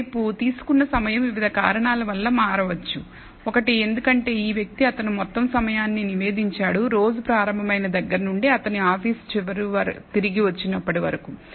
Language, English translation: Telugu, On the other hand the amount of time taken could vary because of several reasons; one because this guy reported the total time he actually started out on the day and when he returned to the office end of the day